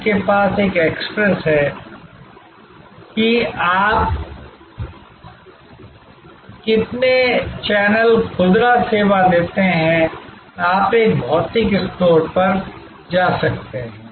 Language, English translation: Hindi, You have this access to sort of a how many channel retail service that gives, you can buy over the net you can go to a physical store